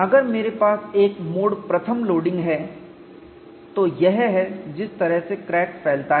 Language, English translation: Hindi, If I have a mode one loading, that is how the crack propagates and that is what is shown